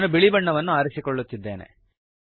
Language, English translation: Kannada, I am selecting white